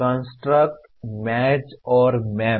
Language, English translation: Hindi, Contrast, match and map